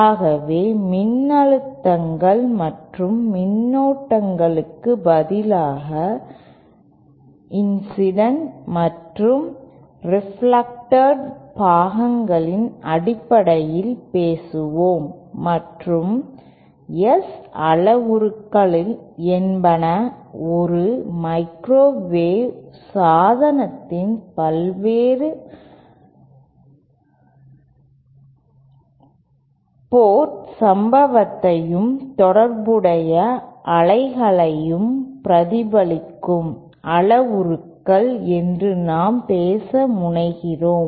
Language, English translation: Tamil, So instead of voltages and currents we tend to talk in terms if incident and reflected parts and s parameters are those parameters which relate the incident and reflected wave at the various port of a microwave device